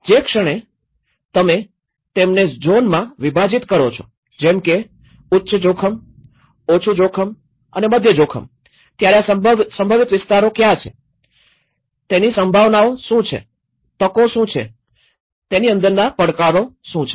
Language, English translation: Gujarati, The moment you zone them which is the high risk, which is the low risk, which is a moderate risk, which are prone for this, what are the possibilities, what are the opportunities, what are the threats within it